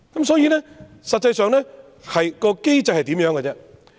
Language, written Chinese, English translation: Cantonese, 所以，實際上，機制是怎樣呢？, Hence in practice how does the mechanism work?